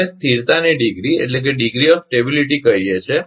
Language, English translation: Gujarati, We call degree of stability